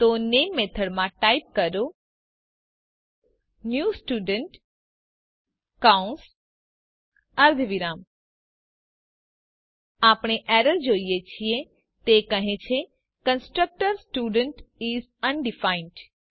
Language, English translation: Gujarati, So in main method type new Student parentheses semi colon We see an error, it states that constructor Student is undefined